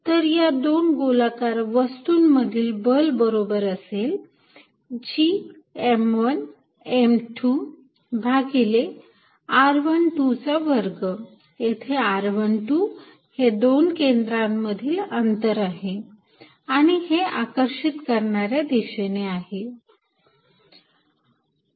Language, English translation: Marathi, So, the force between two perfectly spherical masses, the magnitude will be equal to G m 1 m 2 over r 1 2 square, where r 1 2 is the distance between their centers and of course, the directions is attractive, so this one